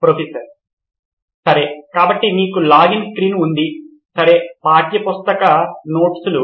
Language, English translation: Telugu, Okay, so you have login screen, okay textbook notes